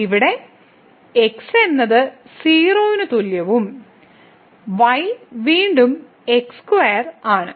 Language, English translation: Malayalam, So, here we have is equal to 0 and square the is again square